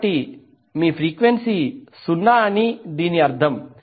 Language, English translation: Telugu, So it means that your frequency is 0